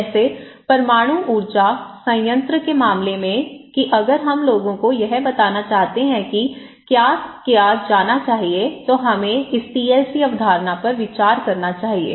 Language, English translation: Hindi, Like, in case of nuclear power plant that if we want to tell people what should be done, we should can consider this; this TLC concept okay